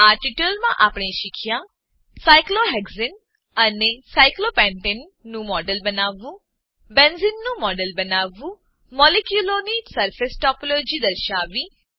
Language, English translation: Gujarati, In this tutorial we have learnt to Create a model of cyclohexane and cyclopentane Create a model of benzene Display surface topology of molecules